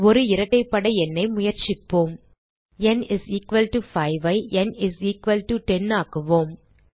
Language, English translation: Tamil, Let us try an even number Change n = 5 to n = 10